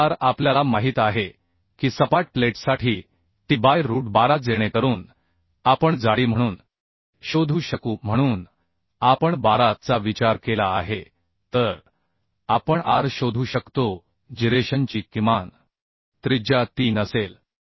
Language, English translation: Marathi, 05 mm So thickness of the plate can be decided from this Now r we know that t by root 12 for flat plate so that we can find out as thickness we have considered 12 so we can find out r the minimum radius of gyration with 3